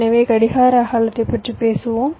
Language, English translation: Tamil, so we sometimes talk about the clock width